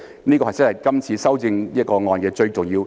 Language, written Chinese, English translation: Cantonese, 這真的是今次修訂的最重要一點。, This is indeed the most important point of this amendment exercise